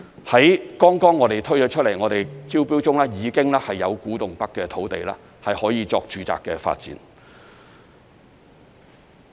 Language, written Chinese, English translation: Cantonese, 我們剛剛推出、正進行招標的土地中，已經有古洞北的土地可以用作住宅發展。, In the batch of sites currently under tender which we just put up for tender some are located in Kwu Tung North and can be used for housing development